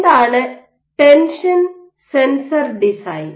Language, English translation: Malayalam, What is the tension sensor design